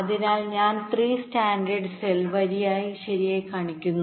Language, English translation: Malayalam, so i am showing three standard cell rows right now